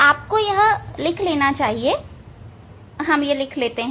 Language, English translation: Hindi, you must note down we have to note down the you see